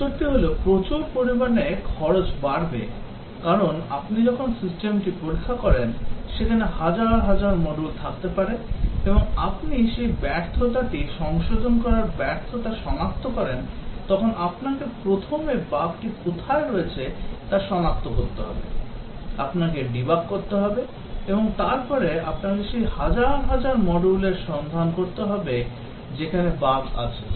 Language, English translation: Bengali, The answer is that the cost will increase enormously because when you test the system which may having thousands of modules and you detect the failure to correct that failure you would have to first locate where the bug is, you have to debug and then you have to look through all that thousand modules trying to find out where the bug is